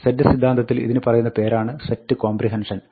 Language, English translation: Malayalam, In set theory, this is called set comprehension